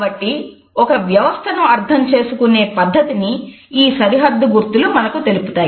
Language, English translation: Telugu, So, these are the boundary markers and they enable us to understand how a system is to be interpreted